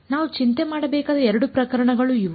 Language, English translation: Kannada, These are the 2 cases that we have to worry about